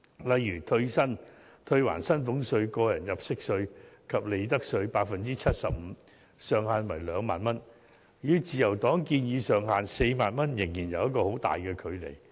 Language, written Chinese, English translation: Cantonese, 例如退還薪俸稅、個人入息稅及利得稅 75%， 上限為 20,000 元，與自由黨建議的上限 40,000 元仍有很大距離。, For example a ceiling of 20,000 is set for the 75 % rebate of the salaries tax tax under personal assessment and profits tax . Such ceiling is way below the amount of 40,000 as proposed by the Liberal Party